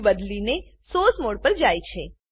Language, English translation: Gujarati, The view is switched to the Source mode